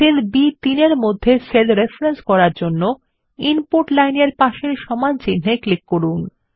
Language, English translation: Bengali, To make the cell reference in cell B3, click on the equal to sign next to the Input line